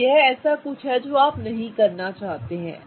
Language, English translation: Hindi, Okay, so this is something you don't want to do